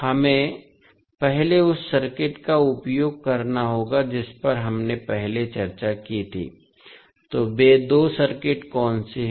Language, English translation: Hindi, We have to first use the circuit which we discussed previously, so what are those two circuits